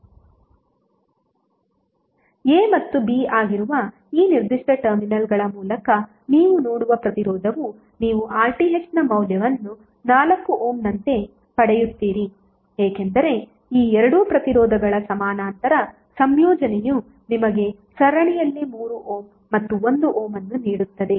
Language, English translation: Kannada, The resistance which you will see through these particular terminals that is a and b you will get the value of RTh as 4 ohm because the parallel combination of these two resistances would give you three ohm plus one ohm in series